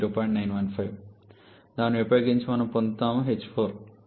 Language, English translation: Telugu, 915 using which we shall be getting h 4 to be equal to 2380